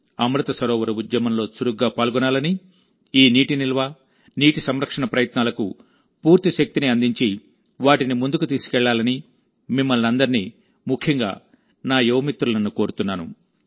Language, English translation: Telugu, I urge all of you, especially my young friends, to actively participate in the Amrit Sarovar campaign and lend full strength to these efforts of water conservation & water storage and take them forward